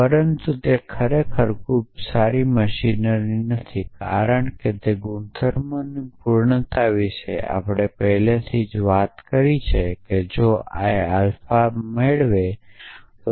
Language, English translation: Gujarati, But that of course, is not a very good machinery as a properties completeness that we have already spoken about is that if l entails alpha